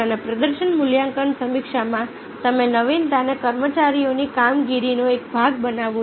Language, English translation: Gujarati, and in the performance appraisal review you make innovation a part of the employees performance